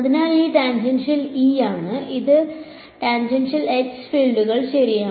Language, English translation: Malayalam, So, this is tangential E and this is tangential H fields right